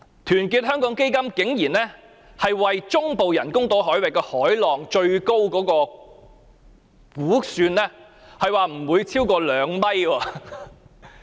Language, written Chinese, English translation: Cantonese, 團結香港基金竟然估算，中部人工島海域海浪最高不會超過2米。, To our surprise Our Hong Kong Foundation has estimated that waves at the artificial islands in central waters will not be higher than two meters